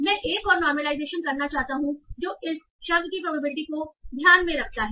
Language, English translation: Hindi, So I want to do another lomelization that takes into account what is the probability of this word